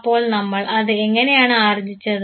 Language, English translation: Malayalam, So, how did we aquire it